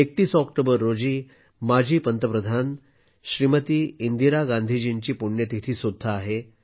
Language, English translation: Marathi, The 31st of October is also the death anniversary of former Prime Minister Smt Indira Gandhi Ji